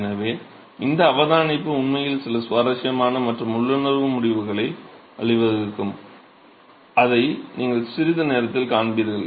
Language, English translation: Tamil, So, this observation actually can lead to some really interesting and intuitive results, which is what you will see in a short while